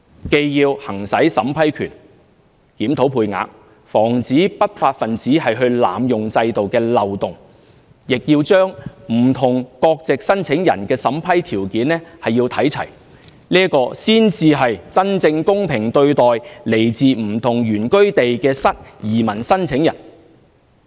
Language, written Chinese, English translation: Cantonese, 既要行使審批權、檢討配額、防止不法分子濫用制度的漏洞，亦要把不同國籍申請人的審批條件看齊，這才是真正公平對待來自不同原居地的移民申請人。, We need to get hold of the vetting and approval power to review the quota to prevent the abuse of the loopholes by illegal elements and to make their approval conditions on a par with applicants of different nationalities . Only by doing so can we give genuinely equitable treatment to all immigration applicants from different places of origin